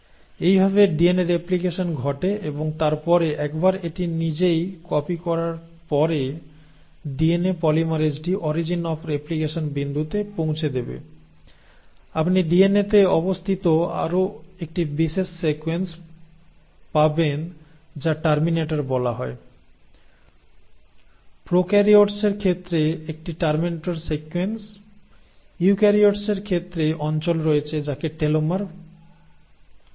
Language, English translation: Bengali, So this is how the DNA replication happens and then finally once it has copied itself the DNA polymerase will reach a point the way you have origin of replication, you will have another signature sequence sitting on the DNA which is called as the terminator, a terminator sequence in case of prokaryotes, in case of eukaryotes you have regions which are called as telomere